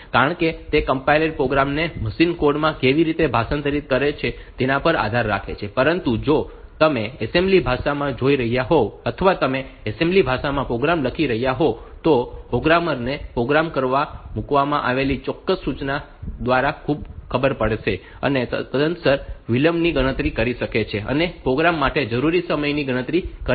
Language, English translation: Gujarati, Because that depends on the way the compiler translates the program into machine code, but if you are looking into the assembly language or you are writing the program in assembly language, then the programmer has will know the exact instruction that is put into the program and accordingly can calculate the delay calculate the time needed for a program